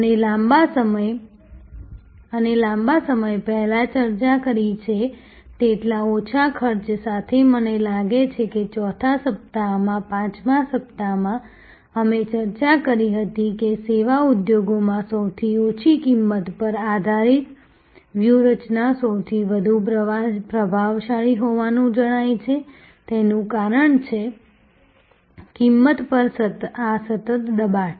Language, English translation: Gujarati, Because, only with costs low costs as we have discussed a long time back during this session, I think in the 4th week, 5th week we discussed, that the strategy based on lowest cost is appearing to be the most dominant strategy in service industries, because of this continuous pressure on price